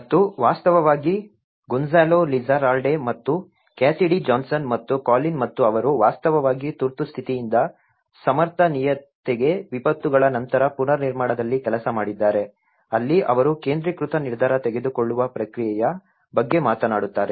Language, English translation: Kannada, And in fact, Gonzalo Lizarralde and Cassidy Johnson and Colin and they have actually worked on rebuilding after disasters from emergency to sustainability, where they talk about it is a concentrated decision making process